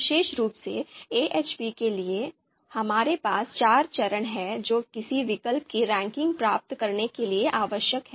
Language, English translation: Hindi, Specifically for AHP, we have four steps that are required to obtain ranking of an alternative